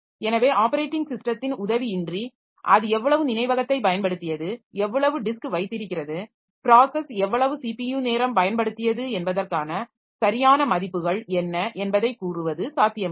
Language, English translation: Tamil, So it is not possible without the help of the operating system to tell what are the exact values, how much memory it was, it has used, how much disk it has used, how much CPU time it has used for a process